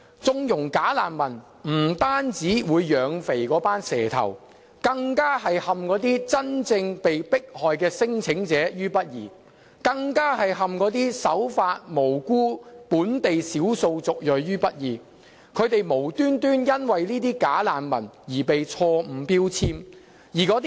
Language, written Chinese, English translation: Cantonese, 縱容"假難民"不單會養肥"蛇頭"，並會陷那些真正被迫害的聲請者於不義，更會陷那些守法及無辜的本地少數族裔於不義，令他們無緣無故因這些"假難民"而被錯誤標籤。, Conniving at bogus refugees will not only fatten human traffickers but also result in unfair treatment to those claimants who are genuinely subject to persecution risk . This is also unfair to the law - abiding and innocent ethnic minorities in Hong Kong as they are wrongfully labelled without reason because of these bogus refugees